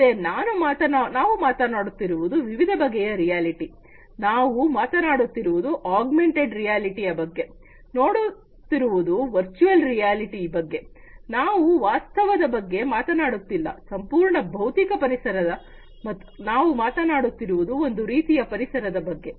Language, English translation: Kannada, So, we are talking about different types of reality; we are talking about augmented reality, we are talking about virtual reality, we are talking about you know no reality at all, completely physical environment, we are talking about completely immersed kind of environment